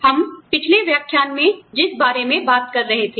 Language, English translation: Hindi, What we were talking about, in the previous lecture